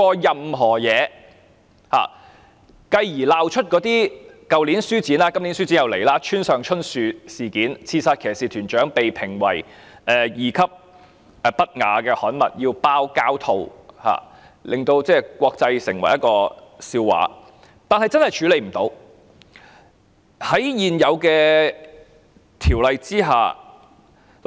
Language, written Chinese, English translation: Cantonese, 然後，便鬧出去年書展中，村上春樹的《刺殺騎士團長》被評為二級不雅刊物，須封上膠套，淪為國際笑話——今年書展即將開始，但問題仍未解決，現行的《條例》確實無法處理。, After that came the farce at the book fair last year where Haruki Murakamis novel Kishidancho Goroshi or Killing Commendatore was classified as Class II―indecent materials which requires to be wrapped in plastic cover . It becomes a laughing stock in the international community . This years book fair is round the corner yet the problems have not yet been solved and the existing Ordinance cannot deal with the situation